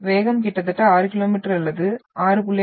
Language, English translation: Tamil, Then we are having the speed is almost like 6 km or 6